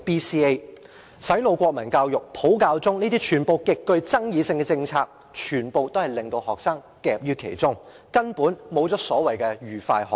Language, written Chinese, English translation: Cantonese, 洗腦國民教育、"普教中"這些極具爭議性的政策，全都令學生夾於其中，根本做不到所謂的"愉快學習"。, Highly controversial policies such as the brainwashing national education and using Putonghua as the medium of instruction for teaching the Chinese Language subject have put students in a quandary and the so - called joyful learning is simply out of the question